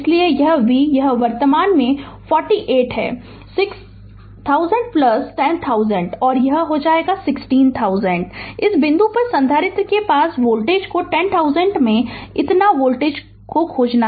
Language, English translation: Hindi, Therefore, your v is equal to you your this is the current 48 6000 plus 10000, this is 16000 into ah this is this point you find out the voltage across capacitor into your 10000 this much of volt